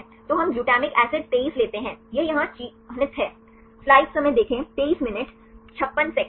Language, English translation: Hindi, So, we take glutamic acid 23 it is marked here